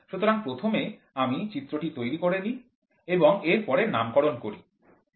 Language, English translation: Bengali, So, first let me make the diagram and then name it